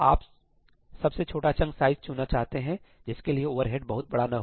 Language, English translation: Hindi, You want to pick the smallest chunk size for which the overhead is not too large, right